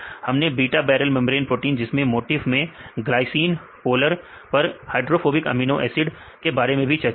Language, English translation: Hindi, Also we discussed about the beta barrel membrane proteins that is glycine, then polar and hydrophobic, polar hydrophobic this motif